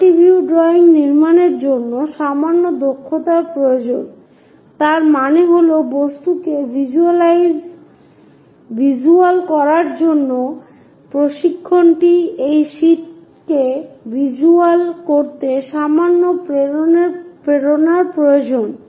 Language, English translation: Bengali, To construct multi view drawings a slight skill set is required that means, training to visual the object represent that visual on to the sheet requires slight infusion